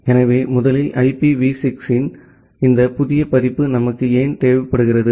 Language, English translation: Tamil, So, first of all why do we require this new version of IP which is IPv6